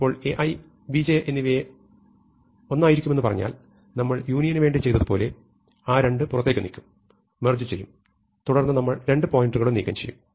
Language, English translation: Malayalam, So, if A i smaller than B j we increment i, now if say when A i, B j are the same, we would as we did for union, we will move the 2 out and we will merge, we will remove both pointers, so now both pointers come to this position